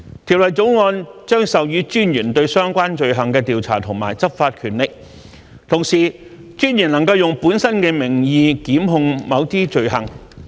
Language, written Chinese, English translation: Cantonese, 《條例草案》將授予私隱專員對相關罪行的調查及執法權力，同時，私隱專員能用本身的名義檢控某些罪行。, The Bill will confer investigative and enforcement powers in relation to the relevant offences upon the Commissioner and at the same time the Commissioner can prosecute certain offences in hisher own name